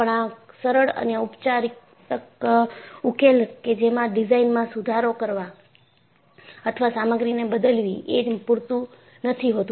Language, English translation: Gujarati, Your simple remedial solution like improving the design or changing material was not sufficient